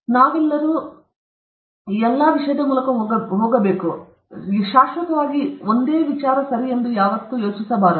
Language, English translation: Kannada, All of us go through that this thing, but that when you go through this, you should not think that is permanent okay